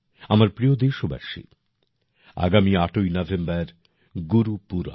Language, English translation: Bengali, My dear countrymen, the 8th of November is Gurupurab